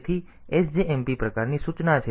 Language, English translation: Gujarati, So, SJMP type of instruction